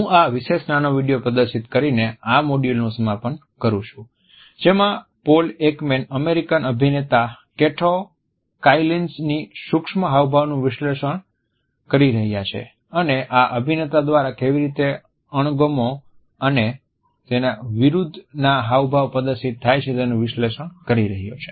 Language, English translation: Gujarati, I conclude this module by displaying this particular snippet in which Paul Ekman is analyzing an American actor Kato Kaelins micro expressions and he is analyzing how the expressions of disgust and his con are displayed by this actor